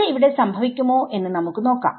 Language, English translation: Malayalam, Let us see if that is happening over here